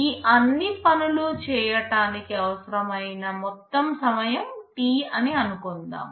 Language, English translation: Telugu, Let me assume that the total time required for the whole thing is T